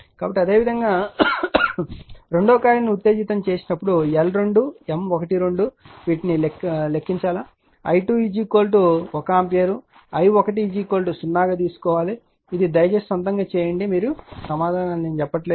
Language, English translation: Telugu, So, similarly you should compute this one L 2 M 1 2 by exciting coil 2 i 2 is equal to 1 ampere and take i 1 is equal to 0, this you please do it of your own right, answers are not given